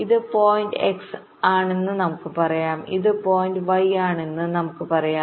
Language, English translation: Malayalam, lets say this is the point x, lets say this is the point y